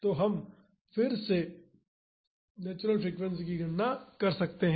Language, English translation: Hindi, So, again we can calculate the natural frequency